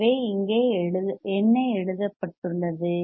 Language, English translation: Tamil, So, what is here what is written here